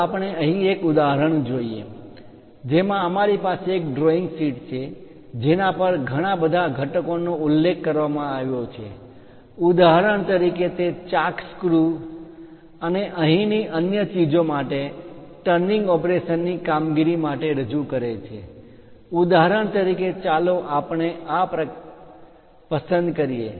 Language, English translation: Gujarati, Let us look at an example here we have a drawing sheet on which there are many components mentioned for example, its a for a turning operation the chalk screws and other things here is represented for example, let us pick this one